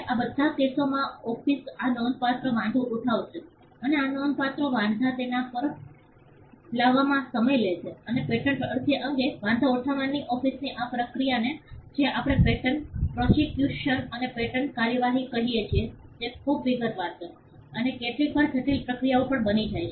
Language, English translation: Gujarati, In all these cases the office is going to raise these substantial objections and these substantial objections it takes time to get over them and this process of the office raising objections over a patent application is what we called patent prosecution and patent prosecution is a very detail and sometimes complicated processes